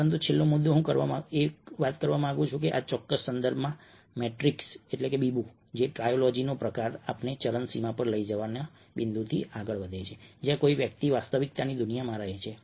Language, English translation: Gujarati, but the last point i would like to make is that, in this particular context ah, the the matrix trilogy kind of drives on the point ah of taking us to an extreme, where somebody lives in the world of virtuality